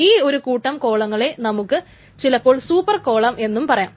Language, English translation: Malayalam, So then this set of columns is sometimes also called a super column